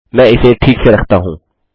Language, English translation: Hindi, I am going to do this